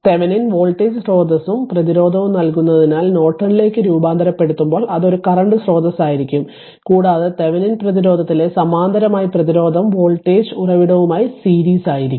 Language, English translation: Malayalam, Because Thevenin gives on voltage source and resistance, when you transform into Norton it will be a current source and resistance in the parallel in Thevenin resistance is in series with the voltage source right